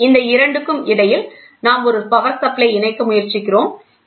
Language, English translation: Tamil, So, between these 2 we try to attach, we try to attach to a power supply